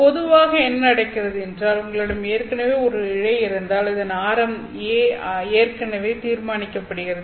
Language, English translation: Tamil, Normally what happens is that if you already have a fiber, the radius gets determined already, right